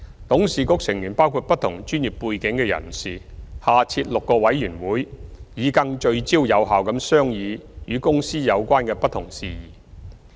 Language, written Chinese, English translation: Cantonese, 董事局成員包括不同專業背景的人士，下設6個委員會，以更聚焦有效地商議與公司有關的不同事宜。, The Board consists of members from different professional backgrounds . Six committees have been established under the Board to deliberate different matters related to the company in a more focused and effective manner